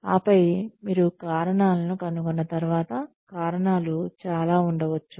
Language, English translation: Telugu, And then, once you have found out the reasons, the reasons could be several